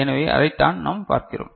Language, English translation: Tamil, So, that is what we can see